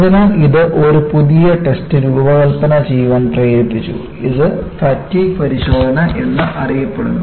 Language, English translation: Malayalam, So, this prompted the use of designing a new test, what is known as a fatigue test